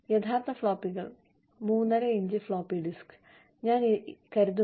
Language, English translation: Malayalam, The actual floppies, the 3 1/2 inch floppy disk, I think